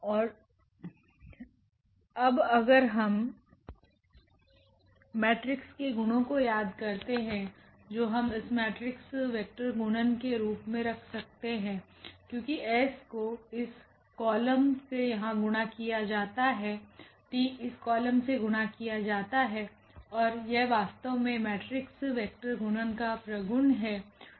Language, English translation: Hindi, And now this if we if we recall the properties of the matrix which we can put this in the form of matrix vector multiplication because s is multiplied to this column here, t is multiplied to this column here and that is exactly the property of the matrix vector multiplication